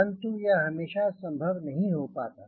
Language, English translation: Hindi, not possible all the time, mostly not possible